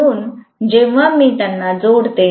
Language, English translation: Marathi, So, when I add them